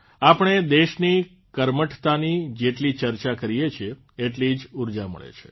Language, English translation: Gujarati, The more we talk about the industriousness of the country, the more energy we derive